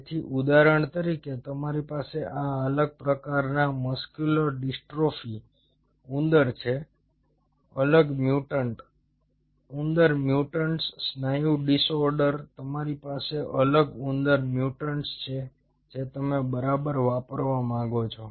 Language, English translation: Gujarati, so say, for example, you have this different kind of muscular dystrophy, mice, different mutant, mice mutants, muscle disorder